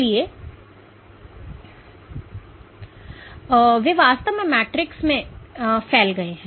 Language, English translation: Hindi, So, they actually protrude into the matrix